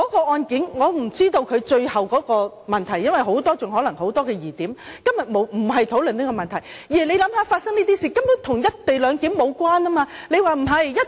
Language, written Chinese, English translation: Cantonese, 我不知道那宗案件的最後結果，因為可能還有很多疑點，今天不是討論這個問題，但請想一想，發生這種事根本與"一地兩檢"無關。, I do not know the status of the case now as there may still be many doubts to be cleared . Our discussion today is not about this case anyway . Please think again